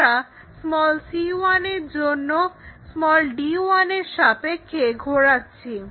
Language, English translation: Bengali, What we want is rotate this around d 1